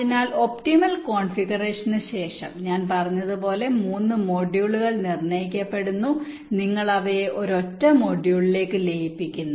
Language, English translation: Malayalam, so after the optimal configuration for the three modules are determined, as i said, you merge them into a single module